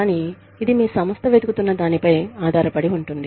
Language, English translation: Telugu, But, it depends on, what your organization is looking for